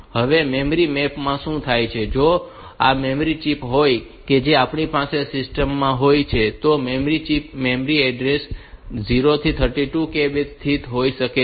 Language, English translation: Gujarati, Now, in the memory map, what happens is that, if this is the total if these are the memory chips that we have in the system then the memory chips may be located in the from the memory address 0 to say 32K